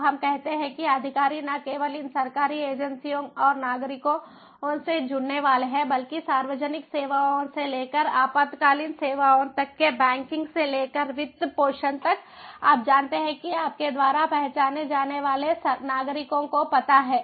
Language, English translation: Hindi, so let us say that the officials are not only going to get connected to these government agencies and citizens, but also to the public services, to the emergency services, to the banking, to finances ah, you know